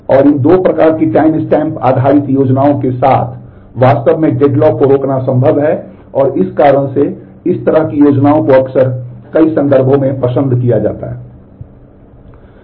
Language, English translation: Hindi, And with these two kind of timestamp based schemes it is possible to actually prevent deadlocks and for that reason these kind of schemes are often preferred in many context